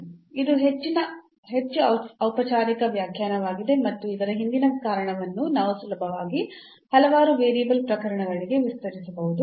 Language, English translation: Kannada, So, this is more formal definition and the reason behind this we will we can easily extend it to the case of several variable